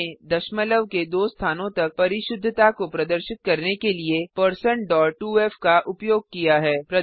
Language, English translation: Hindi, We have used %.2f to denote a precision of 2 decimal places